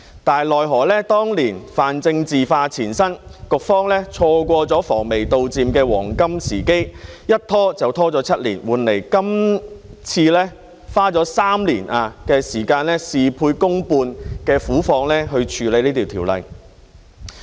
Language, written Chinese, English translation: Cantonese, 但是，奈何當年泛政治化纏身，局方錯過了防微杜漸的黃金時機，一拖就拖了7年，換來今次花了3年的時間、事倍功半的苦況，處理《條例草案》。, It was necessary to expeditiously introduce legislation to impose control . Yet regrettably plagued by extensive politicization back then the Bureau missed the golden opportunity to nip the problem in the bud and dragged its feet for seven years resulting in this difficult situation where it has spent three years dealing with the Bill getting only half the result with twice the effort